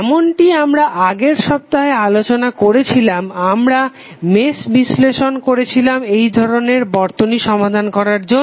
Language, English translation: Bengali, As we discussed in last week we did match analysis to solve this kind of circuits